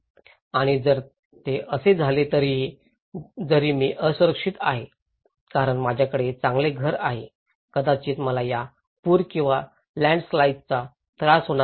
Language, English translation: Marathi, And if it, even if it happened what extent I am vulnerable, because I have a good house maybe, I will not be affected by this flood or landslide